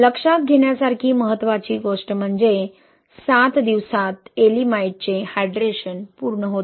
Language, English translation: Marathi, So important thing to note is that in seven days, the hydration of Ye'elimite is complete